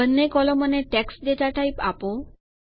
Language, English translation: Gujarati, Let both columns be of data type TEXT